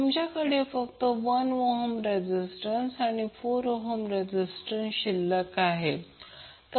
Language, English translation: Marathi, You will left only with the resistances that is 1 ohm resistance and 4 ohm resistance